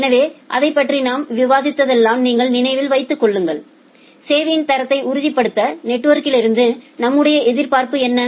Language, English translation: Tamil, So, if you remember whenever we discussed about that what is our expectation from the network to ensure quality of service